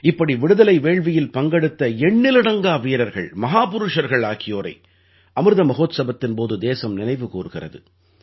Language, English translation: Tamil, Innumerable such freedom fighters and great men are being remembered by the country during Amrit Mahotsav